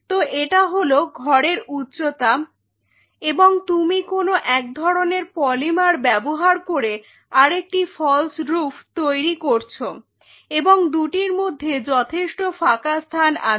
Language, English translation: Bengali, So, this is the height of the room and you just create another false roof using some kind of a polymer and in between there is a gap, a significant gap there